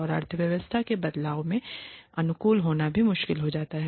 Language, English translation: Hindi, And it also becomes difficult to adapt to the changes in the economy